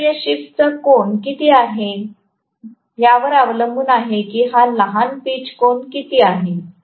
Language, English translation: Marathi, Now, how much ever is the angle of this shift depends upon how much is this short pitch angle